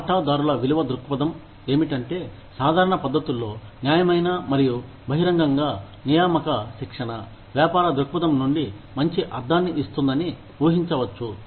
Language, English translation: Telugu, Shareholder value perspective is, it might be expected that, fair and open recruitment training, in common practices, will make good sense, from a business point of view